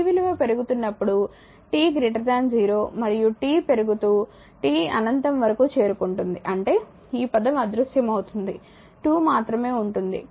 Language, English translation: Telugu, When here when t is your increasing like t greater than 0 and t is increasing say t tends to infinity right so; that means, this term will vanish only 2 will be there